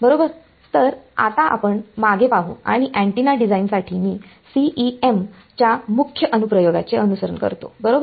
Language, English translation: Marathi, Right so, let us have a look at the back and I follow the major application of CEM for antenna design right